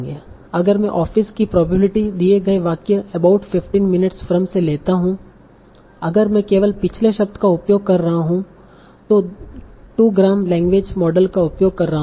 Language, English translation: Hindi, So if I take this particular probability, probability of is given about 15 minutes from, if I am using only the previous word, that will be using a 2 gram language model